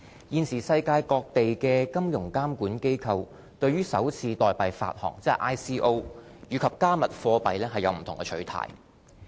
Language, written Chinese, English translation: Cantonese, 現時世界各地的金融監管機構對首次代幣發行和"加密貨幣"有不同的取態。, The regulatory approaches towards initial coin offerings ICOs and cryptocurrencies vary across jurisdictions